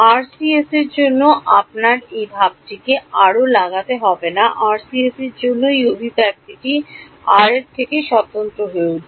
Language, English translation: Bengali, You do not have to put anything this expression the expression for RCS this expression for RCS will turn out to be independent of r